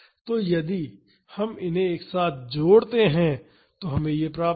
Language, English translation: Hindi, So, if we can add these together we will get this